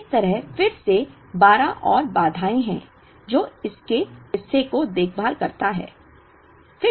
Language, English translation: Hindi, So, there are again 12 more constraints like this, which takes care of this part of it